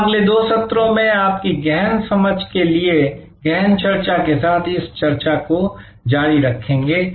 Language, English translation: Hindi, We will continue this discussion with a deeper understanding for your deeper understanding over the next two sessions